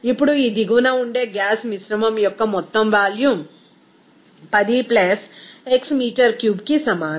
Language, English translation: Telugu, Now, the total volume of the gas mixture that in this downstream will be is equal to 10 + x metre cube